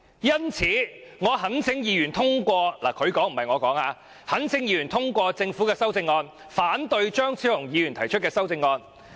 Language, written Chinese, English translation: Cantonese, 因此，我懇請議員通過"——是局長說的，不是我說的——"政府提出的《條例草案》，反對張超雄議員提出的修正案。, Thus I implore Members to pass―those are the words of the Secretary not mine―the Bill introduced by the Government and oppose Dr Fernando CHEUNGs amendments